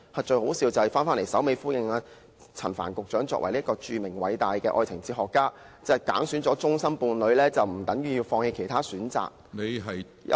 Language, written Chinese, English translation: Cantonese, 最可笑的是，陳帆局長作為"著名和偉大的愛情哲學家"，竟然說甚麼揀選了終身伴侶，不等於要放棄其他選擇，有時......, The most laughable thing is that as a famous and great love philosopher Secretary Frank CHAN even talks about having identified a lifelong partner does not mean giving up other choices . Sometimes